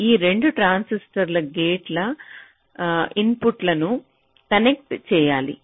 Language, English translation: Telugu, the inputs have to be connected to the gates of this two transistors